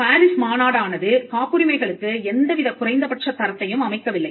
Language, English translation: Tamil, So, the PARIS convention did not set any minimum standard for patents